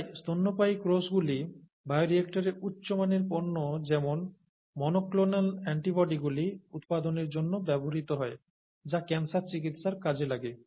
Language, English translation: Bengali, When you use these cells in the bioreactor, mammalian cells are used in the bioreactor for production of high value products such as monoclonal antibodies which are used for cancer therapy and so on